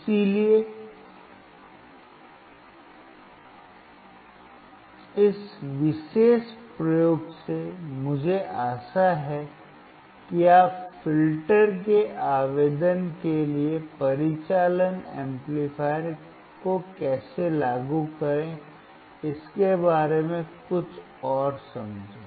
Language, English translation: Hindi, So, with this particular experiment, I hope that you understood something further regarding how to apply the operational amplifier for the application of a filter